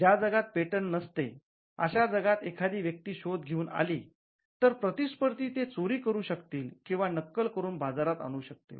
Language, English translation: Marathi, In a world where there are no patents if a person comes out with an invention, there is all likelihood that a competitor could steal it or copy it and enter the market